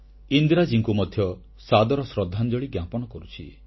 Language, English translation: Odia, Our respectful tributes to Indira ji too